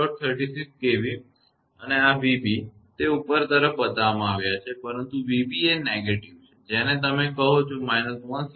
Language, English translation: Gujarati, 36 kV and this v b; it is shown in upward, but v b is negative your what you call minus 163